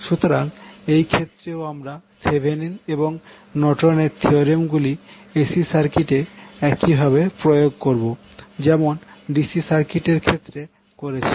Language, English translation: Bengali, So, in this case also the Thevenin’s and Norton’s theorems are applied in AC circuit in the same way as did in case of DC circuit